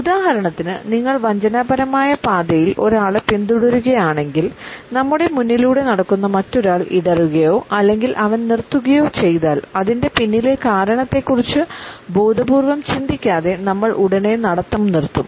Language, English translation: Malayalam, For example, if you are following a person only rather treacherous path; then if the other person who is walking in front of us stumbles or he stops we would immediately stop without consciously thinking about the reason behind it